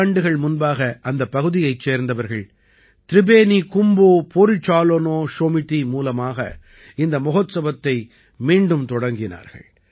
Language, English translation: Tamil, Two years ago, the festival has been started again by the local people and through 'Tribeni Kumbho Porichalona Shomiti'